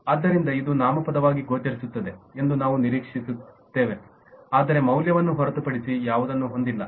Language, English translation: Kannada, so you will expect it to appear as a noun but not have anything other than a value